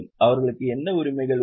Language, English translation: Tamil, What rights they have